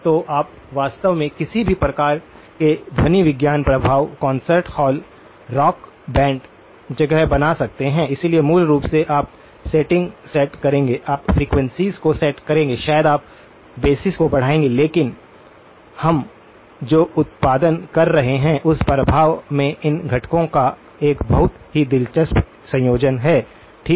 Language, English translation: Hindi, So, you can actually create any sort of acoustic effect, concert hall rock band place where is a; so basically, you will set the settings, you will set the frequencies maybe you will boost the basses up so but the in effect what we are producing is a very interesting combination of these components okay